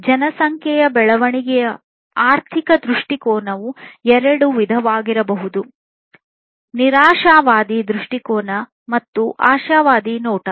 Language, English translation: Kannada, So, economic view on the population growth can be of two types: pessimistic view and optimistic view